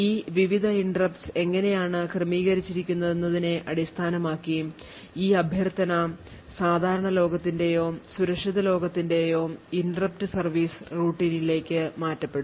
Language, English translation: Malayalam, So, based on how these various interrupts are configured this interrupt request would be either channeled to the normal world interrupt service routine or the secure world interrupt service routine